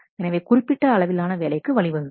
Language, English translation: Tamil, And this can lead to a significant amount of work